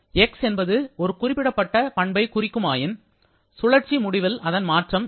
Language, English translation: Tamil, So if x refers to any particular property, then over a cycle the change in that property will be equal to 0